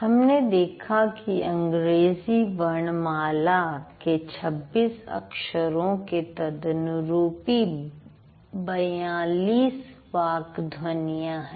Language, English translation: Hindi, I said English alphabet has 26 letters and these 26 letters correspond to 42 speech sounds, right